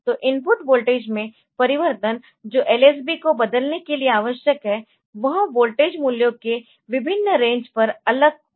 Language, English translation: Hindi, So, so the have the corresponding change in input voltage that is required to change the lsb is different over different range of voltages values